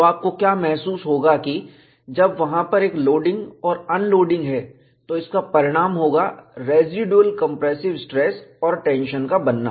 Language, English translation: Hindi, So, what you will have to realize is, when there is a loading and unloading, this results in formation of residual compressive stress and tension